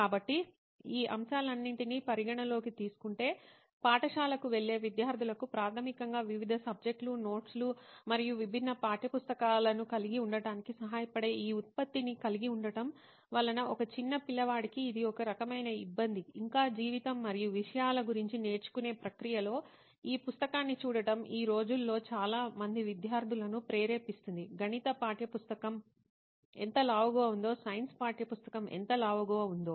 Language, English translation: Telugu, So considering all these points and factors, having this product which can help the school going students basically where they are supposed to maintain different subjects, notes and also have different textbooks so different subjects which is a kind of a hassle for a young kid who is still in process of learning life and about subjects, seeing the book itself kind of motivates most of the students nowadays, seeing how fat a maths textbook is, how fat a science textbook is, that is basically playing on the mind set of the student